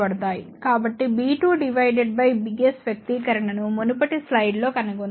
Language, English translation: Telugu, So, b 2 divided by b s that expression we have derived in the previous slide